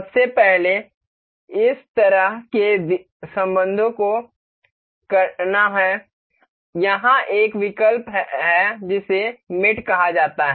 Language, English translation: Hindi, First is to to do such relations with there is an option called mate here